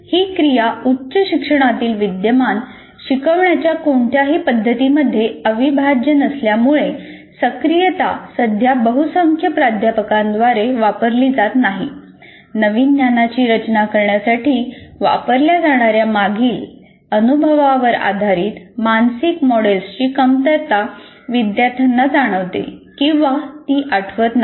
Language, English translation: Marathi, So learners, because that activity is not integral to any of the present practices of instruction in higher education, as activating is not used by majority of the faculty at present, learners lack or may not recall previous mental models based on experience that can be used to structure the new knowledge